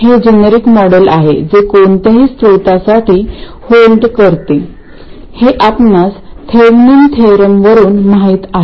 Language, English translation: Marathi, This is a generic model that holds for any source as you know from Thaminin's theorem